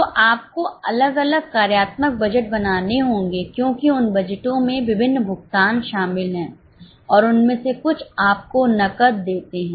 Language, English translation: Hindi, So, you will have to make different functional budgets because those budgets involve various payments and some of them give you cash